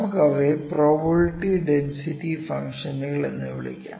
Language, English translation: Malayalam, I will put the target for probability density functions here